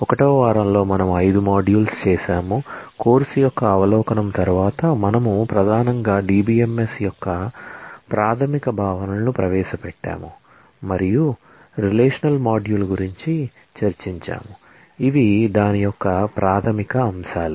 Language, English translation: Telugu, In week 1 we have done 5 modules, after the overview of the course, we have primarily introduced the basic notions of DBMS and we have discussed about the relational module, the fundamentals of it